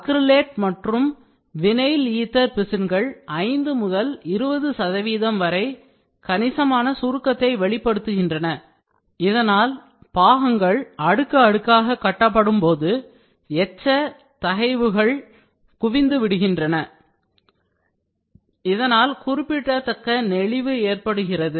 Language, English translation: Tamil, Acrylate and vinyl ether resins exhibited considerable shrinkage from 5 to 20 percent which caused residual stresses to accumulate as parts were built layer by layer which in turn causes significant warpage